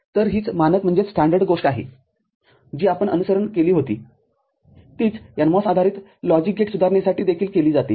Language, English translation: Marathi, So, this is the standard thing that we had followed the similar thing is done for NMOS based logic gate development also